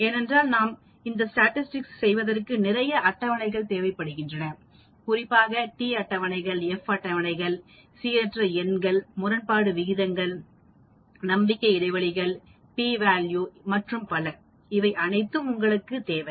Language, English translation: Tamil, Because as you go along you will come across lot of tables t tables, f tables, random numbers, odds ratios, confidence intervals, p values and so on, for all these you need to have some tables and this one gives you